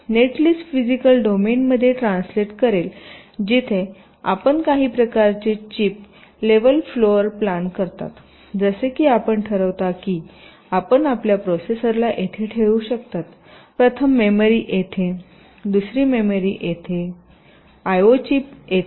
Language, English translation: Marathi, now this net list would translate in to physical domain where you do some kind of a chip level floor plant, like you decide that on your chip you can place your processor here, first memory here, second memory here, the i o, chips here